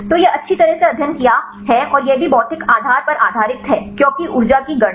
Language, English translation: Hindi, So, this is well studied and also this is based on physical basis because calculate the energy